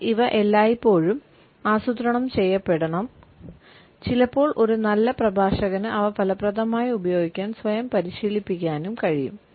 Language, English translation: Malayalam, But these should always be plant sometimes a good speaker can also train oneself to use them effectively